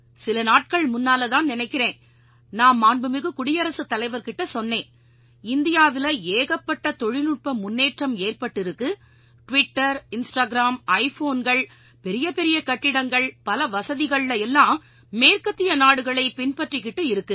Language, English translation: Tamil, I was mentioning I think to Hon'ble President a few days ago that India has come up so much in technical advancement and following the west very well with Twitter and Instagram and iPhones and Big buildings and so much facility but I know that, that's not the real glory of India